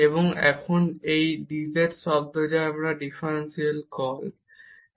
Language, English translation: Bengali, And now this is the dz term which we call differential